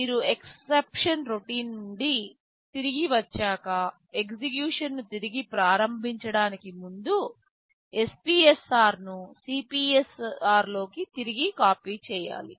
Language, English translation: Telugu, When you come back from the exception routine the SPSR has to be copied backed into CPSR before you resume execution